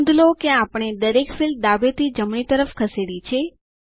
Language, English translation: Gujarati, Notice that, we have moved all the fields from the left to the right